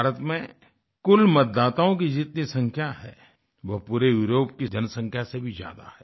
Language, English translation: Hindi, The total number of voters in India exceeds the entire population of Europe